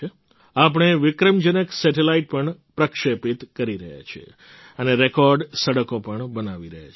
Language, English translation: Gujarati, We are also launching record satellites and constructing record roads too